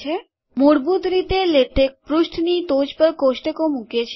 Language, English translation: Gujarati, By default, Latex places tables at the top of the page